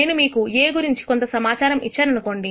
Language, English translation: Telugu, Now let us assume I give you some information about A